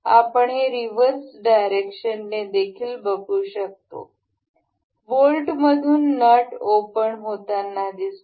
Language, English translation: Marathi, You can also see on reversing this direction this opens the nut out of this bolt